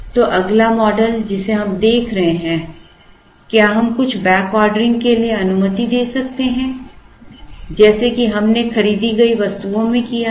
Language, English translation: Hindi, So the next model that we should be looking at is, can we allow for some backordering here like we did in the bought out items